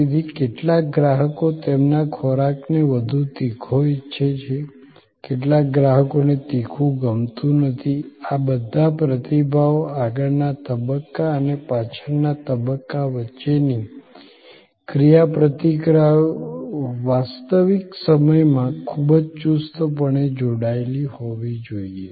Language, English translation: Gujarati, So, some customers way want their food more spicy, some customers may not want it spicy and all these responses and interactions between the front stage and the back stage have to be very tightly coupled in real time